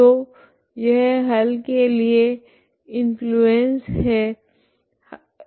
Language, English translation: Hindi, So this is the this is the influence solution for the solution